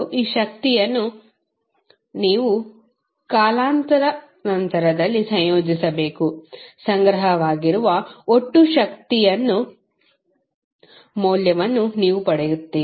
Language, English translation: Kannada, You have to just integrate over the time of this power, you will get the value of total energy stored